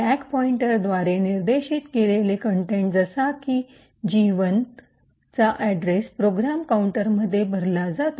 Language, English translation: Marathi, First the contents pointed to by the stack pointer that is the address of gadget 1 gets loaded into the program counter